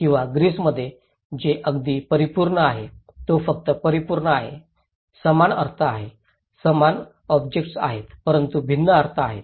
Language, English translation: Marathi, Or in Greece that is just perfect; that is just perfect, the same meaning, a same object but different meaning